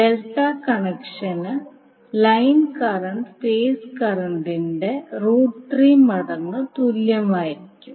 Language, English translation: Malayalam, So for the delta connection the line current will be equal to root 3 times of the phase current